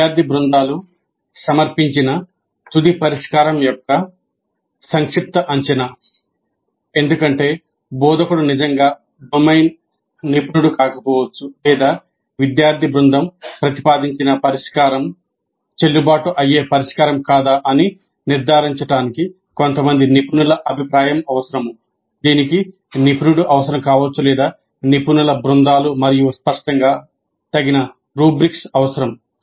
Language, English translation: Telugu, Summative assessment of the final solution presented by the student teams because the instructor may not be really a domain expert or because the solution proposed by the student team requires certain expert opinion to judge whether it is a valid solution or not